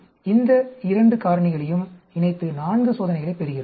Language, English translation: Tamil, So, we are combining both these factors and getting four experiments